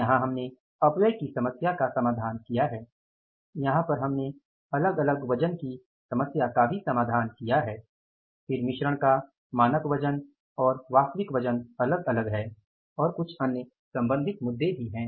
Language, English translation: Hindi, Here we have addressed the problem of the waste ages also here we have addressed the problem of say different weights also then the standard weight and the actual weight of the mix is different and some other related issues